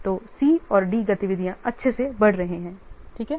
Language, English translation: Hindi, So here C and D activities are splited